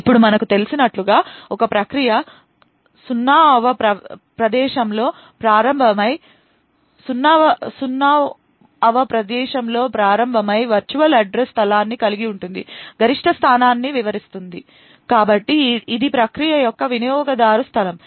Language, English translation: Telugu, Now as we know a process comprises of a virtual address space which starts at a 0th location and then extends to a maximum location, so this is the user space of the process